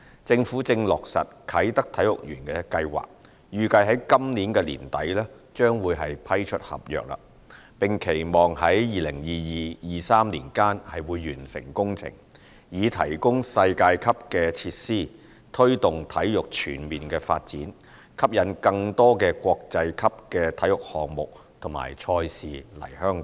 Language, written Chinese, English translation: Cantonese, 政府正落實啟德體育園計劃，預計在今年年底將會批出合約，並期望在2022年至2023年間完成工程，以提供世界級設施推動體育全面發展，吸引更多國際級體育項目及賽事來港。, The Government is actively implementing the Kai Tak Sports Park project the contract of which is scheduled to be awarded at the end of this year . Expected to be completed between 2022 and 2023 the project will provide world - class facilities to promote holistic sports development and attract more international sports events and games to Hong Kong